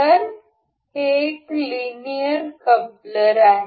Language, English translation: Marathi, So, this is linear coupler